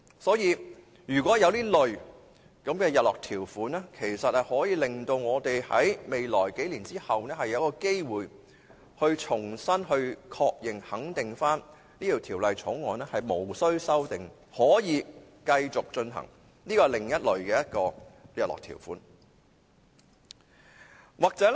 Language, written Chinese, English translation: Cantonese, 所以，如果有這類日落條款，我們便可在數年後有機會重新確認和肯定《條例草案》無須修訂及可以繼續實行，這是其中一類的日落條款。, If this type of sunset clauses is put in place we will have an opportunity in a couple of years to reconfirm and affirm that there is no need to amend the law and it can continue to be implemented